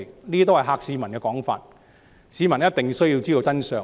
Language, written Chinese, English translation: Cantonese, 其實，這些是嚇市民的說法，市民必須知道真相。, In fact such remarks intend to scare people off . Members of the public ought to know the truth